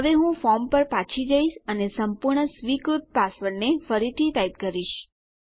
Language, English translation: Gujarati, Now I will go back to my form and Im going to retype my perfectly acceptable password in